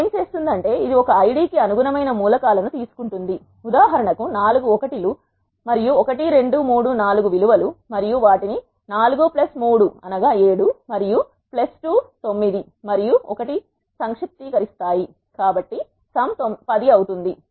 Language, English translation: Telugu, What it does is it will take the elements corresponding to one Id for example, four 1’s and the values 1 2 3 4 and sums them up 4 plus 3, 7 and plus 2 9 and 1, so sum is 10